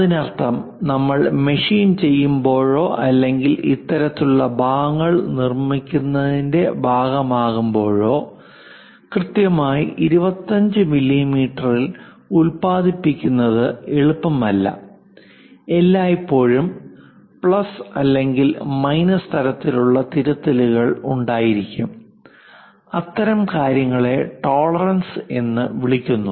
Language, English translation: Malayalam, That means, when you are machining or perhaps making a part or producing this kind of parts, it is not easy to produce precisely at 25 mm there always be plus or minus kind of corrections involved; such kind of things are called tolerances